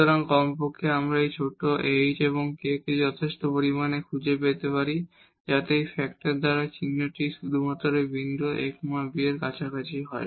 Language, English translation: Bengali, So, at least we can find small h and k here sufficiently small so that the sign will be determined by this factor only in the close neighborhood of this point a b